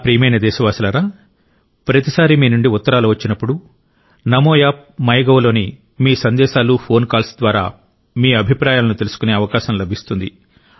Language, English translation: Telugu, every time, lots of your letters are received; one gets to know about your thoughts through your messages on Namo App and MyGov and phone calls